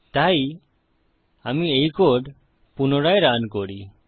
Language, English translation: Bengali, So let me just re run this code